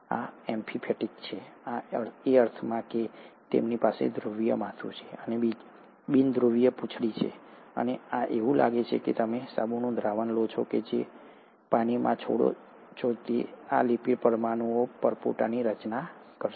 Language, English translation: Gujarati, These are amphiphatic, in the sense that they do have a polar head, and a non polar tail, and these, it's like you take a soap solution and when you drop it in water, these lipid molecules will end up forming bubbles